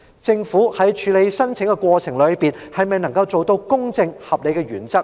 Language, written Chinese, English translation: Cantonese, 政府在處理申請的過程中，是否能夠符合公正、合理的原則？, Can the Government comply with the principles of being fair and reasonable in processing the application?